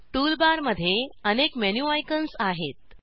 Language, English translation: Marathi, Tool bar has a number of menu icons